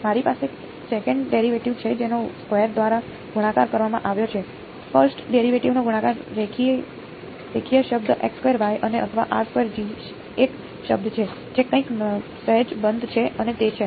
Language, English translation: Gujarati, I have a second derivative multiplied by squared, first derivative multiplied by linear term and x squared y or a r squared G term right the something is slightly off and that is